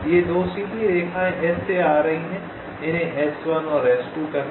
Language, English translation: Hindi, these two straight lines are coming from s, call them s one and s two